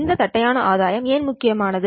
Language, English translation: Tamil, Why is this flat gain important